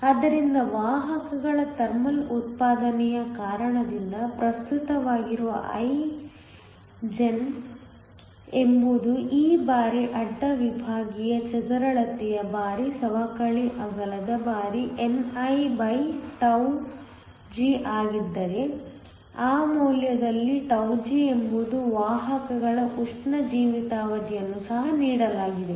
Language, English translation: Kannada, So, I gen which is the current due to thermal generation of carriers is e times the cross sectional area times the depletion width times nig where g is the thermal lifetime of the carriers in that value is also given